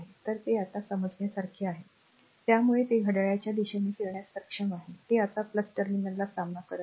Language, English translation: Marathi, So, it is understand able now so, it is able move clock wise, it is encountering plus terminal now